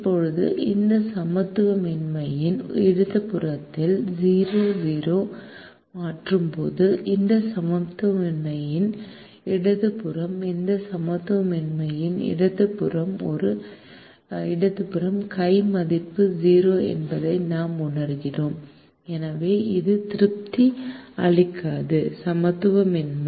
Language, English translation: Tamil, now, when we substitute zero comma zero into the left hand side of this inequality, to the left hand side of this inequality, left hand side of this inequality, we realize the left hand side value is zero and therefore it does not satisfy the inequality